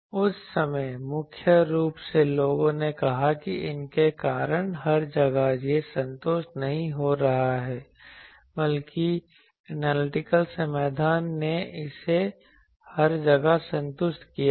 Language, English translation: Hindi, That time mainly people said that due to these that everywhere it is not getting satisfied rather than analytical solution satisfied it everywhere